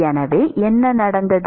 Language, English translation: Tamil, So, what has happened